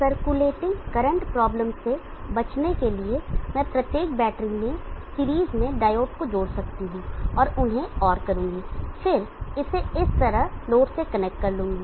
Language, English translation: Hindi, In order to avoid the circulating current problem, I could connect diode in series in each of the battery and or them and then connect it to the load like this